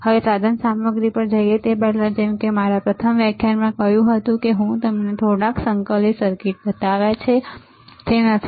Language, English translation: Gujarati, Now, before we go to the equipment, like I said in my first lecture, I have shown you few integrated circuits, isn't it